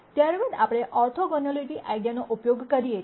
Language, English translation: Gujarati, We then use the orthogonality idea